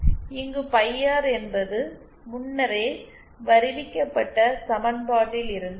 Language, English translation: Tamil, Phi R comes from this equation